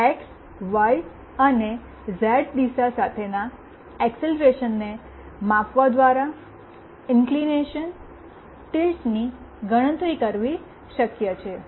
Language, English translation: Gujarati, This can be done by measuring the acceleration along the x, y and z directions